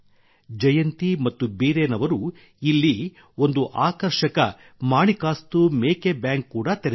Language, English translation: Kannada, Jayanti ji and Biren ji have also opened an interesting Manikastu Goat Bank here